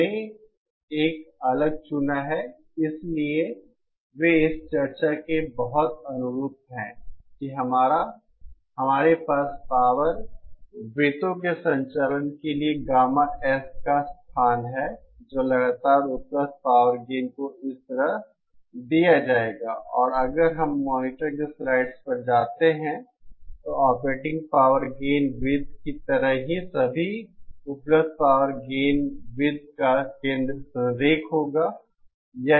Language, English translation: Hindi, We chose a different…so they are very analogous to the discussion that we had for operating power circles that is the locus of gamma S for a constant available power gain will be given like this where And if we go to the slides on the monitor, just like the operating power gain circle, the centre of all the available power gain circles will be collinear